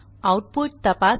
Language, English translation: Marathi, Check the output